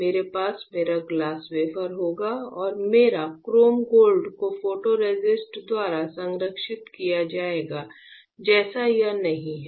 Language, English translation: Hindi, I will have my glass wafer and my chrome gold protected by the photoresist like this is not it